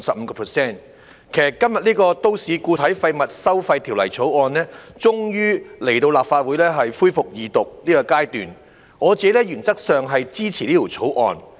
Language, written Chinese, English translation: Cantonese, 今天，有關《2018年廢物處置條例草案》終於來到立法會恢復二讀辯論的階段，原則上我是支持《條例草案》的。, Today the Waste Disposal Amendment Bill 2018 the Bill has finally come to the stage of resumption of the Second Reading debate in the Legislative Council . I support the Bill in principle